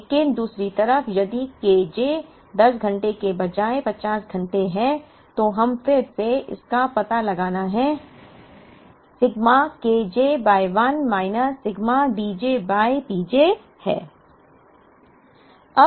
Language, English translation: Hindi, But, on the other hand if K j is 50 hours instead of 10 hours, then we again have to find this out, sigma K j by 1 minus sigma D j by P j